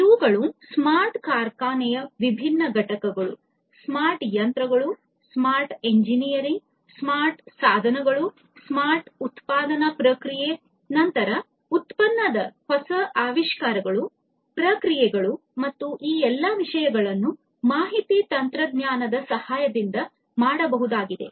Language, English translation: Kannada, So, these are the different components of the smart factory, smart machines, smart engineering, smart devices, smart manufacturing process, then three things improving upon the innovation you know whatever was existing innovating the product the processes and so, on and the all these things can be done with the help of information technology